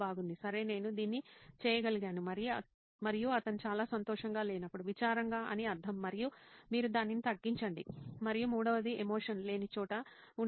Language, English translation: Telugu, okay that I could do this and there are times when he is not so happy, meaning sad and you jot that down and there is a third one where there is no emotion